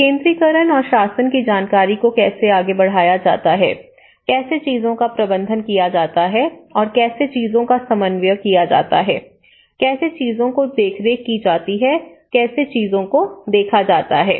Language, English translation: Hindi, Decentralization and the governance, which actually, how the information is passed out, how things are managed and how things are coordinated, how things are supervised, how things are perceived